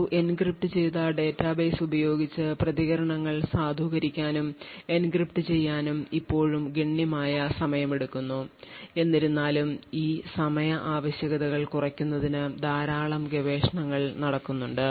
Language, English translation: Malayalam, The reason being that it takes still considerable amount of time to actually validate and enncrypt responses using an encrypted database although a lot of research is actually taking place in order to reduce this time requirements